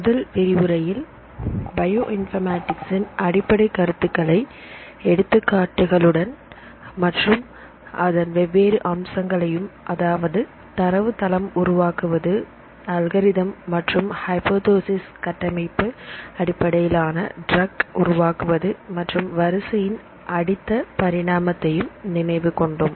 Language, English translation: Tamil, In the first lecture just for refreshing, we discussed about the basics of Bioinformatics with few examples, and the different features of Bioinformatics; for example development of databases, algorithms and hypotheses, structure based drug design and next generation sequencing